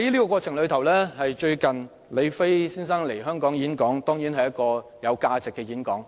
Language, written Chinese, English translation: Cantonese, 近日，李飛先生來港演講，這當然是一場有價值的演講。, Recently Mr LI Fei has come to Hong Kong to give a speech which of course has value